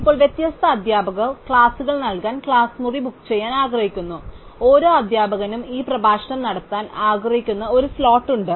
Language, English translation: Malayalam, Now, different teachers want to book the class room to deliver classes and each instructor has a slot that he would like to deliver this lecture in